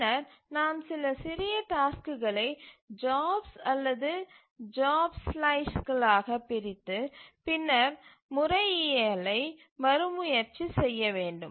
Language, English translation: Tamil, So, then we need to divide some tasks into smaller jobs or job slices and then retry the methodology